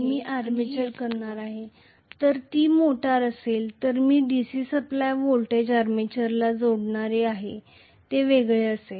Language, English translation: Marathi, And I am going to have the armature, if it is a motor I am going to connect the DC supply voltage to the armature as well which will be separate